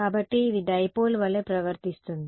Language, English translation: Telugu, So, this is acting like it seems like a dipole right